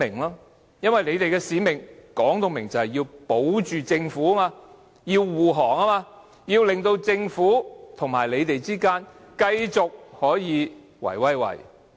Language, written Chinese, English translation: Cantonese, 眾所周知，他們的使命是要為政府護航，令政府和建制派可以繼續"圍威喂"。, As we all know their mission is to support the Government so that the Government and pro - establishment Members can continue to help each other